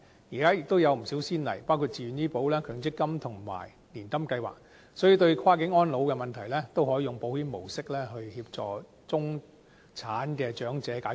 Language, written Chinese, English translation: Cantonese, 現時亦有不少先例，包括自願醫保、強制性公積金和年金計劃，所以，對跨境安老的問題也可以用保險模式來協助中產長者解決。, Some examples are the Voluntary Health Insurance Scheme the Mandatory Provident Fund Schemes and the HKMC Annuity Plan . An insurance - based scheme may be helpful to address the cross - boundary care need of middle - class elderly